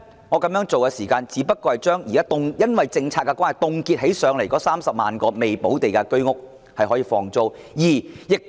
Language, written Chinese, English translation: Cantonese, 我提出這個做法的原因，第一，只是令因政策而被凍結的30萬個未補地價居屋單位可以出租。, I make this proposal for some reasons . First of all this would only allow the 300 000 HOS flats with unpaid premium which have been frozen due to the policy to be rented out